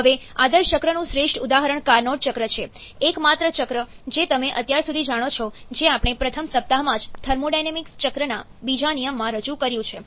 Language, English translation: Gujarati, Now, the most; the best example of an ideal cycle is the carnot cycle, the only cycle that you know till now which we introduced in the first week itself in conjunction, in the second law of thermodynamics cycle, the carnot is a cycle which involves 4 processes